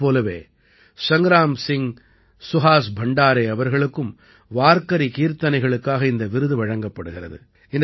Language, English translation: Tamil, On the other hand, Sangram Singh Suhas Bhandare ji has been awarded for Warkari Kirtan